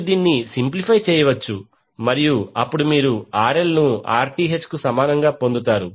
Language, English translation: Telugu, You can simplify it and you get RL is equal to Rth